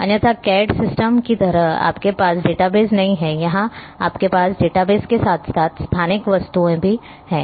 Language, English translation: Hindi, Otherwise, like in like cad systems, you do not have the database here you are having database as well as a spatial object